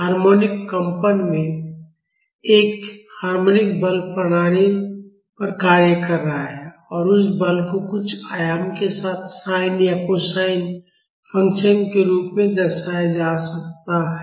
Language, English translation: Hindi, So, in harmonic vibrations, a harmonic force is acting on the system and that force can be represented as a sin or cosine function with some amplitude